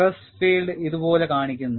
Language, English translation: Malayalam, And the stress field is shown like this